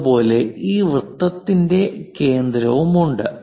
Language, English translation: Malayalam, Similarly, there is center of this circle